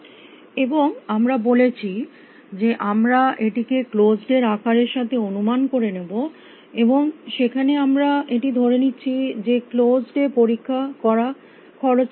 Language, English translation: Bengali, And we had said we appropriate it with the size of closed and there we had made an assumption that checking in closed is not expensive